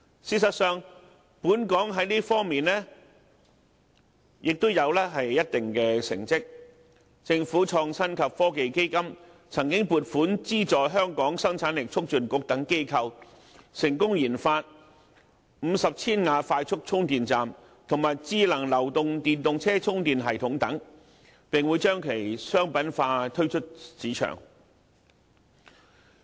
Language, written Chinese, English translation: Cantonese, 事實上，本港在這方面亦有一定的成績，政府創新及科技基金曾經撥款資助香港生產力促進局等機構，成功研發50千瓦快速充電站，以及智能流動電動車充電系統等，並會將其商品化，推出市場。, Actually Hong Kong does have certain achievements on this front With the funding provided to some organizations under the Innovation and Technology Fund established by the Government a significant milestone was achieved upon completion of the 50kW EV charger development . Moreover the mobilized smart charger for EVs has also come into being . Such research and development outcome will be launched in the market after being commercialized